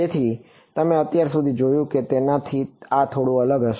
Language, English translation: Gujarati, So, this is going to be slightly different from what you have seen so far